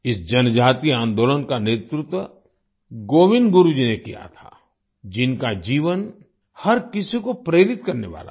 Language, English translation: Hindi, This tribal movement was led by Govind Guru ji, whose life is an inspiration to everyone